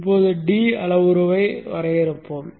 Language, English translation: Tamil, Let us first define the parameter D